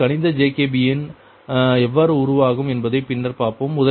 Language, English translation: Tamil, how mathematic jacobian can be formed, will be see later